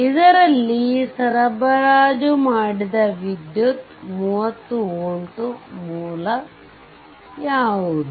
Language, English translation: Kannada, So, what is the power supplied by the 30 volt source right